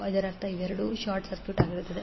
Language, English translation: Kannada, It means that both of them will be short circuited